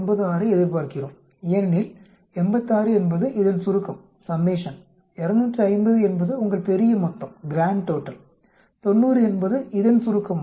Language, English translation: Tamil, 96 because, 86 is the summation of this, 250 is your grand total, the summation of this is 90